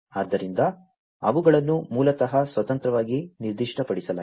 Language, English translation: Kannada, So, they are basically specified independently